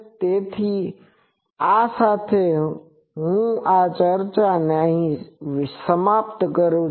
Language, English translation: Gujarati, , So, with this, I end this discussion